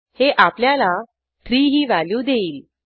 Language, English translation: Marathi, Hence this will give the value as 3